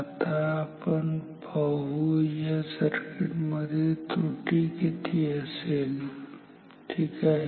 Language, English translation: Marathi, Now, let us see what will be the error in this circuit ok